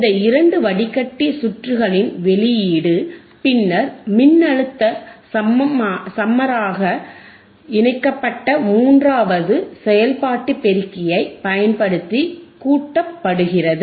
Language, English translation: Tamil, tThe output from these two filter circuits is then summed using a third operational amplifier connected as a voltage summer